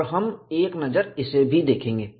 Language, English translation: Hindi, We will also have a look at them